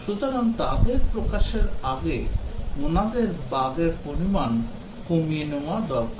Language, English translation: Bengali, So, they need to reduce the bugs before they release